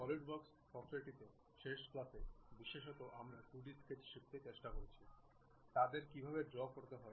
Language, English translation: Bengali, In the Solidworks software, in the last class especially we tried to learn 2D sketches, how to draw them